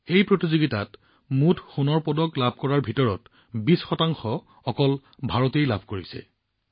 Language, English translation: Assamese, Out of the total gold medals in this tournament, 20% have come in India's account alone